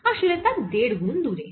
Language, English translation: Bengali, in fact it's one and a half times farther